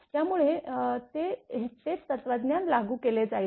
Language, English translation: Marathi, So, same philosophy will be applied